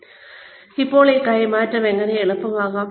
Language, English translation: Malayalam, So, how do you make this transfer easy